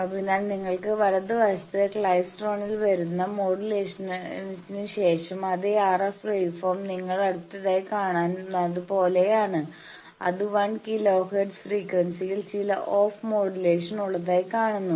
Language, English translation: Malayalam, So, you have the RF thing coming from the klystron in the right, then after that after modulation that same RF waveform looks like the next one you see that, it is having some on off modulation of frequency 1 kilo hertz